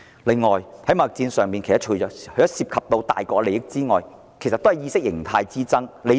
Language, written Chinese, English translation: Cantonese, 貿易戰除涉及大國利益外，其實也是意識形態之爭。, The trade war does not simply involve the interests of the major powers but also a war of ideology